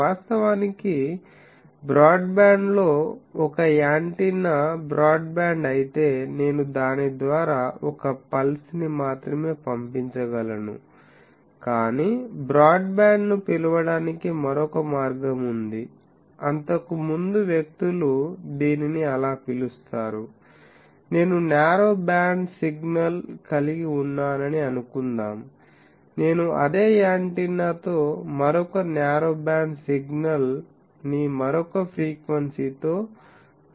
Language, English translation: Telugu, Actually broadband has a conation that if an antenna is broadband then I can, I will be able to pass a pulse through it, but there is another way of calling broadband, which earlier people use to call that, suppose I am having a narrow band signal, I am sending that with the same antenna another narrow band signal at some other frequency I am sending